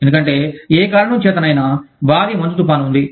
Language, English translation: Telugu, Because, for whatever reason, there is been a massive snowstorm